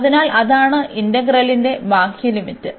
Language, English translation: Malayalam, So, that is the outer limit of the integral